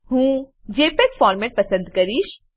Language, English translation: Gujarati, I will select JPEG format